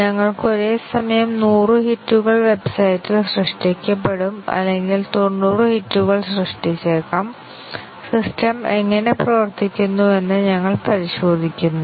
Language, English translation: Malayalam, We will have 100 simultaneous hits generated on the website or may be 90 hits generated and we check what how does the system perform